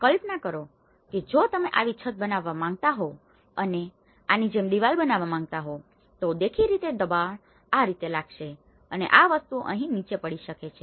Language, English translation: Gujarati, Imagine if you are making a roof like if you are making a wall like this, obviously the pressure acts this way and as things might tend to fall down here